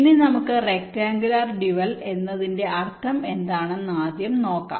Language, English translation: Malayalam, now let us first very quickly see what this rectangular dual means